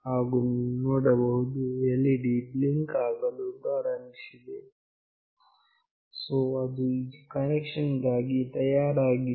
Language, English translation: Kannada, And you can see that the LED has started to blink again, so it is ready for connection